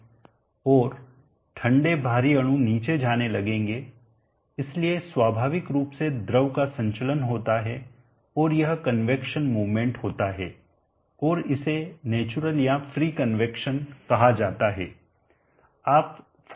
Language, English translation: Hindi, And the colder, heavier molecules will start moving down, so there is a circulation of the fluid naturally and this is the convection movement, and this is called the natural or the free convection